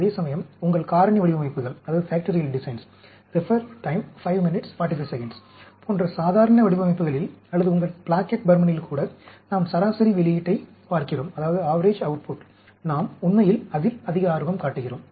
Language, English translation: Tamil, Whereas, in normal designs, like your factorial designs, or even your Plackett Burman, we are looking at average output; we are more interested in that, actually